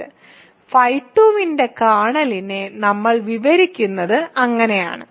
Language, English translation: Malayalam, So, that is how we describe the kernel of phi 2